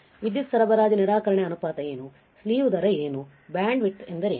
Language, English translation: Kannada, What is power supply rejection ratio right, what is slew rate, what is bandwidth